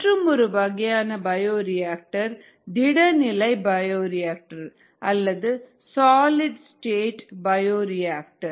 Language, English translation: Tamil, another type of bioreactor is called the solid state bioreactors